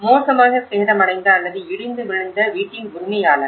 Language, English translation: Tamil, Houses should be badly damaged or collapse